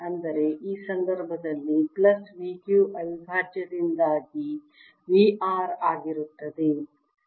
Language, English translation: Kannada, in this case v r is going to be v due to this q plus v q prime